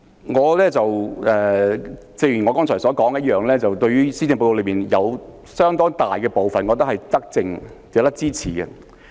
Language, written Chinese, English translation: Cantonese, 主席，開宗明義，正如我剛才所說，我認為施政報告中有相當大部分是德政，值得支持。, President let me state at the outset as I said earlier I think a large part of the Policy Address are benevolent measures which deserve our support